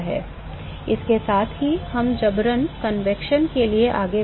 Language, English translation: Hindi, With that we moved on to forced convection